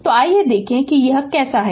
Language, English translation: Hindi, So, let us see how is it